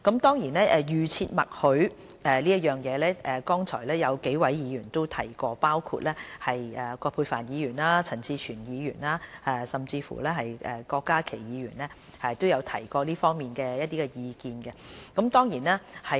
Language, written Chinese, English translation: Cantonese, 至於預設默許，剛才有幾位議員包括葛珮帆議員、陳志全議員和郭家麒議員都有提及這方面的意見。, Several Members including Dr Elizabeth QUAT Mr CHAN Chi - chuen and Dr KWOK Ka - ki expressed their views on the opt - out system just now